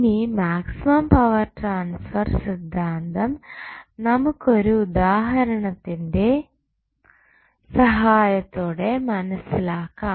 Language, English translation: Malayalam, Now, let us understand the maximum power transfer theorem with the help of 1 example